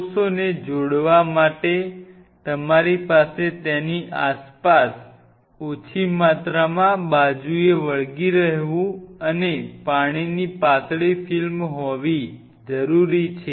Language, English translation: Gujarati, For the cells to attach you have to have reasonable amount of adhering side and a thin film of water around it